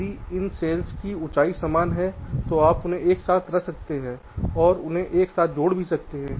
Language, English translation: Hindi, why, if this cells have fixed heights, you can put them side by side and joint them together